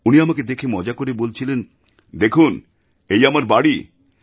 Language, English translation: Bengali, And she was looking at me and mockingly,saying, "Look at my house